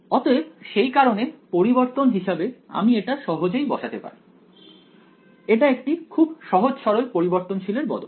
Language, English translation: Bengali, So, that is why I could do the substitution easily it was a very simple change of variables right